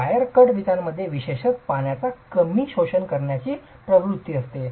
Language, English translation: Marathi, The wire cut bricks typically have this tendency of very low water absorption